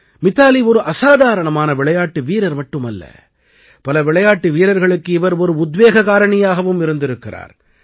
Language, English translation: Tamil, Mithali has not only been an extraordinary player, but has also been an inspiration to many players